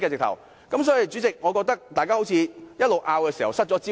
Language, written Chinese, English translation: Cantonese, 代理主席，我覺得我們的爭論好像失去了焦點。, Deputy President I think our arguments have lost the focus